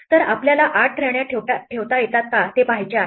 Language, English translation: Marathi, So, we want to see if we can place 8 queens